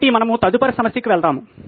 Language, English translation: Telugu, So we’ll go to the next problem